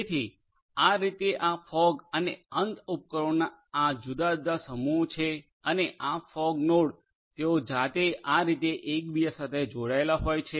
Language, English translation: Gujarati, So, these are the different different clusters of these fog and end devices in this manner and these fog nodes they themselves could be interconnected like this right